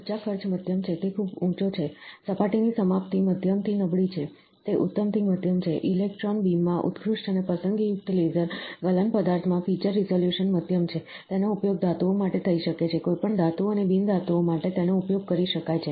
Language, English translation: Gujarati, The energy cost is moderate, it is very high, surface finish is moderate to poor, it is excellent to moderate, the feature resolution is moderate in electron beam excellent and selective laser melting materials, it can be used for metals, it can be used for any metals and non metals